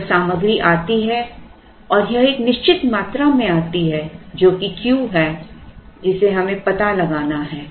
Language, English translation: Hindi, Now the material arrives and it arrives in a certain quantity which is Q which we have to find out